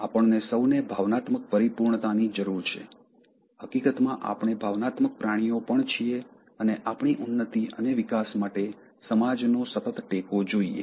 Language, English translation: Gujarati, We all need emotional fulfillment, in fact we are also emotional animals and we need constant support from the society for our uplift meant and growth